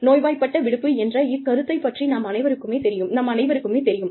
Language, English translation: Tamil, We are all aware of this concept of sick leave